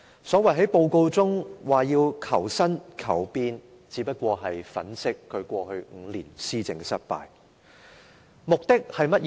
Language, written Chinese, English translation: Cantonese, 施政報告中的所謂求新、求變，只是想粉飾他過去5年施政的失敗。, The so - called innovation and changes in the Policy Address are only meant to embellish the failure of his administration over the past five years